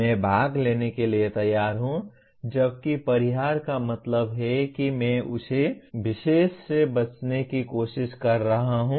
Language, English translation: Hindi, That is I am willing to participate whereas avoidance means I am trying to avoid that particular one